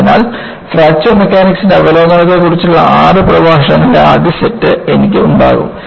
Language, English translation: Malayalam, So, I will have the first set of six lectures, on Overview of Fracture Mechanics